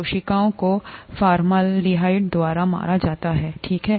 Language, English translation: Hindi, The cells are killed by formaldehyde, okay